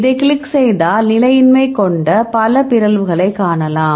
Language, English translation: Tamil, If you click on that, then you can see several mutations which are having highly destabilizing